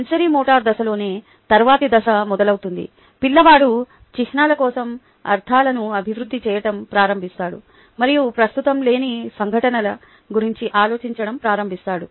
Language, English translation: Telugu, in the sensorimotor stage itself, the child starts to develop meanings for symbols and starts thinking about events that are not currently on